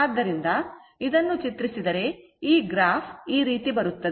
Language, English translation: Kannada, So, if you plot this, if you plot this it graph will come like this